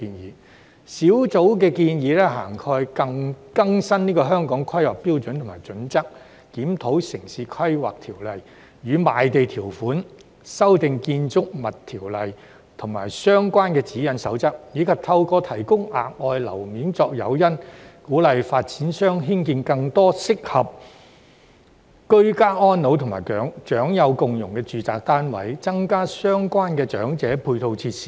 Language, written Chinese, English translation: Cantonese, 工作小組建議涵蓋更新《香港規劃標準與準則》、檢討《城市規劃條例》與賣地條款、修訂《建築物條例》及相關的指引守則，以及透過提供額外樓面作誘因，鼓勵發展商興建更多適合居家安老及長幼共融的住宅單位，增加相關的長者配套設施。, The proposals of the working group cover updating the Hong Kong Planning Standards and Guidelines; reviewing the Town Planning Ordinance and the land sale conditions; amending the Buildings Ordinance and relevant guidelines and codes as well as granting extra floor areas to developers as an incentive for the construction of more residential units suitable for ageing in place and fostering harmony between the elderly people and the young so as to increase the relevant ancillary facilities for the elderly